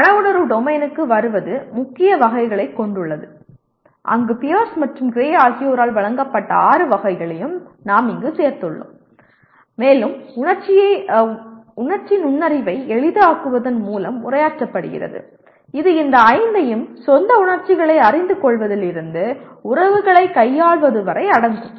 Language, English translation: Tamil, Coming to Affective Domain has major categories where we included all the six here as given by Pierce and Gray and is addressed through facilitating Emotional Intelligence which consist of these five from knowing one’s own emotions to handling relations